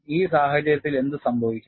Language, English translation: Malayalam, In this case, what happens